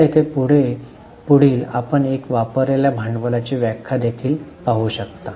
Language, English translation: Marathi, Now the next one, here the definition of capital employed also you see